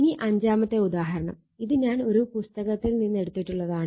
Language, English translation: Malayalam, Now, example 5 there this problem I have taken from one book